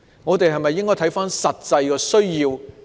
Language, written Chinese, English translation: Cantonese, 我們應否考慮實際的需要？, Should we consider the actual needs?